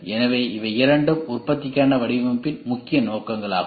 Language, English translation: Tamil, So, these two are the main objectives of design for manufacturing